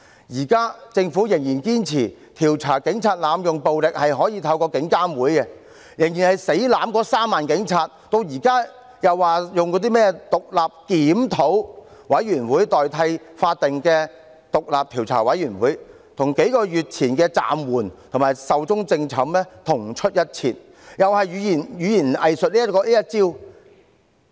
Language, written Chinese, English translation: Cantonese, 現時政府仍然堅持可透過獨立監察警方處理投訴委員會來調查警員濫用暴力，仍然死抱着那3萬名警員，現在又說用甚麼獨立檢討委員會來代替法定的獨立調查委員會，這與數個月前的"暫緩"及"壽終正寢"同出一轍，同樣是語言"偽術"這一套。, The Government still insists that investigations against police brutality can be carried out through the Independent Police Complaints Council . It is still harbouring the 30 000 police officers . Its proposal to set up an Independent Review Committee instead of a statutory independent commission of inquiry is nothing but hypocritical rhetoric just like playing with the words suspended and dead a few months ago